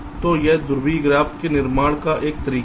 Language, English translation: Hindi, ok, so this is also one way to construct the polar graph now